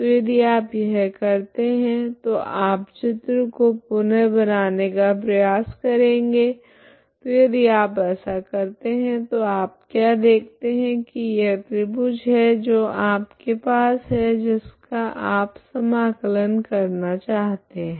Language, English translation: Hindi, So if you do this you will try to redraw this picture so if you do that so what you see is this is the triangle what you have over which you want to integrate